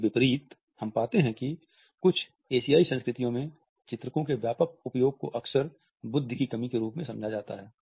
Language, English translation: Hindi, In contrast we find that in some Asian cultures and extensive use of illustrators is often interpreted as a lack of intelligence